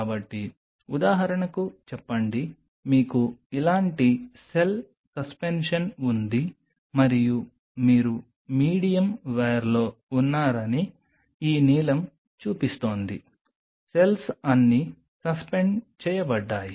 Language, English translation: Telugu, So, say for example, you have a cell suspension like this and this is this blue is showing you’re in the medium ware it is all the cells are suspended